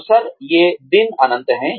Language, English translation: Hindi, Opportunities, these days are endless